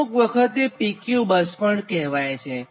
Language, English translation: Gujarati, sometimes we call this one as a p q bus